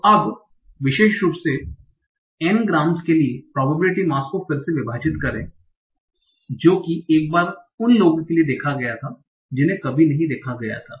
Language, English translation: Hindi, So now in particular, reallocate the probability mass for n grams that were seen once for those that were never seen